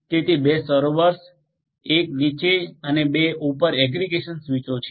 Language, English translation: Gujarati, So, 2 servers, 1 below and 2 aggregation switches above